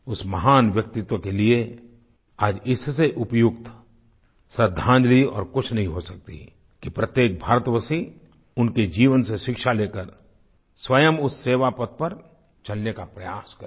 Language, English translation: Hindi, There cannot be any other befitting tribute to this great soul than every Indian taking a lesson from her life and emulating her